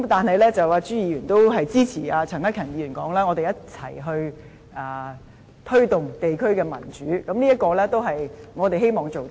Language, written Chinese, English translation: Cantonese, 不過，朱議員也支持陳克勤議員所說，即我們一同推動地區的民主，這是我們希望做到的。, Nevertheless Mr CHU also agreed with Mr CHAN Hak - kans comment that we should take forward democracy at the district level and this is also what we hope to achieve